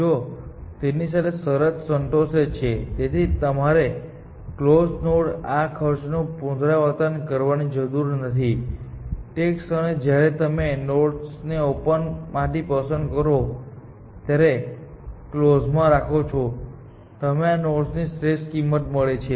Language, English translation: Gujarati, In addition of this condition is satisfied, then you do not have to keep revising cost to the nodes in close; the moment you pick a node from open and put in close, at that moment, you found the optimal cost to the node